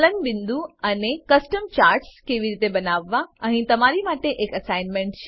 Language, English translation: Gujarati, Melting Point and how to create Custom Charts Here is an assignment for you